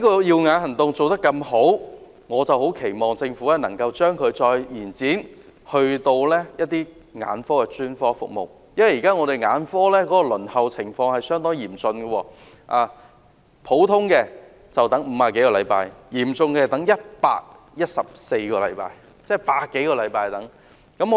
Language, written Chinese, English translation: Cantonese, "耀眼行動"的成績這麼理想，我期望政府能夠將它擴展至其他眼科專科服務，因為現在眼科的輪候情況相當嚴峻，一般要等50多個星期；較久的更要等114個星期，即要等百多個星期。, I hope the Government can extend it to other ophthalmological specialist services because the current waiting time for ophthalmological treatment is terrible . It usually takes more than 50 weeks or even 114 weeks for some cases . This is over a hundred weeks of waiting time